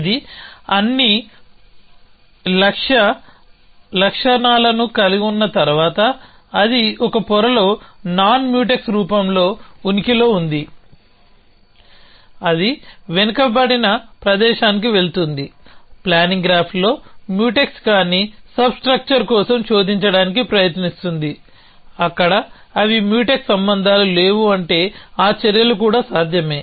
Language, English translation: Telugu, Once it finds all the goal properties, it exists in a non Mutex form in a layer it goes to the backward space tries to search for a non Mutex substructure in the planning graph where they are no Mutex relations which means that those actions are possible even if they are in parallel